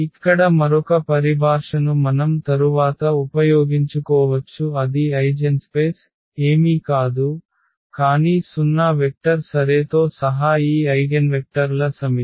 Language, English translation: Telugu, So, another terminology here which we may use later that is eigenspace; so, eigenspace is nothing, but the set of all these eigenvectors including the 0 vector ok